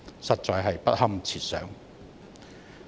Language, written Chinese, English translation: Cantonese, 實在不堪設想。, It will be too ghastly to contemplate